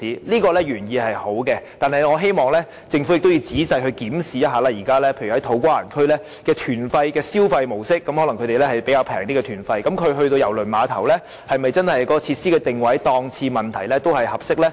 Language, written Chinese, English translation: Cantonese, 此舉原意是好的，但我希望政府仔細檢視現時在土瓜灣區的旅行團的消費模式，那些旅客的團費可能較為便宜，如他們到郵輪碼頭消費時，郵輪碼頭的設施定位、檔次是否真的合適呢？, The intention of this proposal is good yet I hope the Government will carefully examine the spending patterns of visitors now visiting To Kwa Wan . Since these visitors may be paying a relatively low fee for their tour if they are to do their spending at the cruise terminal will the positioning of the facilities and price ranges at the cruise terminal suit their needs?